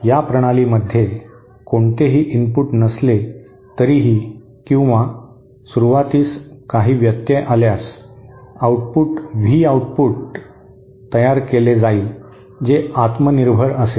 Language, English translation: Marathi, In this system, even if there is no input or if there is just a disturbance at the beginning, then an output V output will be produced which is self sustain